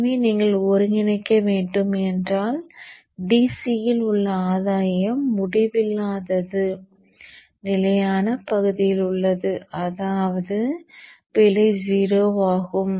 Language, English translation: Tamil, So if you put an integral, the gain is infinite at DC or at stable region, which means that the error is 0